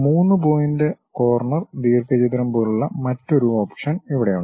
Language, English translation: Malayalam, Here there is another option like 3 Point Corner Rectangle